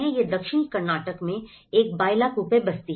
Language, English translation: Hindi, This is a Bylakuppe settlement in Southern Karnataka